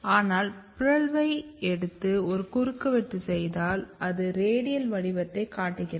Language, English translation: Tamil, But if you take the mutant and make a cross section it look so it looks more kind of radial pattern